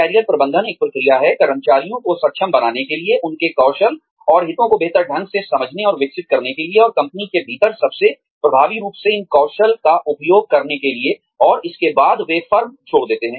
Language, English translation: Hindi, Career Management is a process, for enabling employees, to better understand and develop their skills and interests, and to use these skills, most effectively within the company, and after they leave the firm